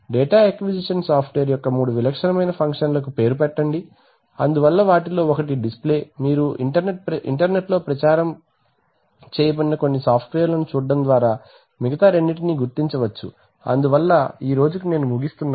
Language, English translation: Telugu, Name three typical functions of a data acquisition software, so one of them could be display you can figure out the other two by looking at some of the software which are advertised on the internet, so that is all for today thank you very much